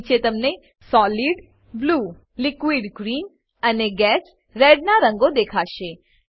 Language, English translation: Gujarati, Below you can see colors of Solid Blue, Liquid Green and Gas Red